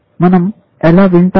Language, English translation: Telugu, How do we listening